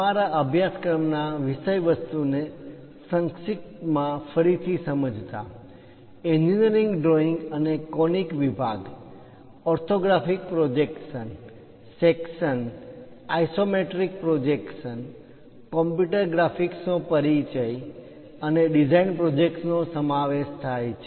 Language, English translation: Gujarati, To briefly recap our course contents are introduction to engineering drawing and conic sections, orthographic projections, sections, isometric projections , overview of computer graphics in this part we will cover, and a design project